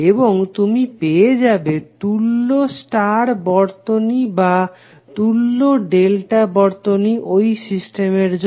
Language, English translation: Bengali, And you will get the values of equivalent star or equivalent delta circuit for the system